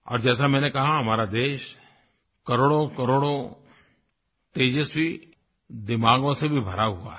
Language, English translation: Hindi, And as I mentioned, our country is blessed with millions and millions of the brightest of brains